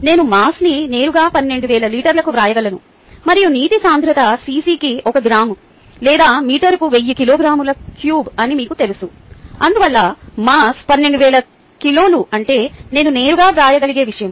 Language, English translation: Telugu, i can just write down the mass directly: twelve thousand liters, and you know the density of water is one ah gram per cc or thousand kilograms per meter cubed